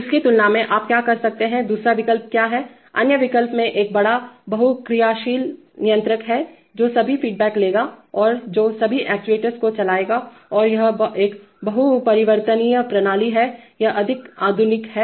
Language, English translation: Hindi, Compared to that, you could, what is the other option, the other option is to have one big multivariable controllers, which will take all the feedbacks and which will drive all the actuators and it is a multivariable system, this is more modern